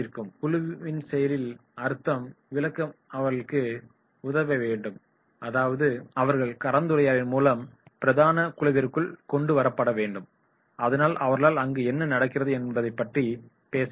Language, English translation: Tamil, And help them become active part of the group and therefore they should be brought into the mainstream group in the discussion that is whatever is going on they should be able to talk about it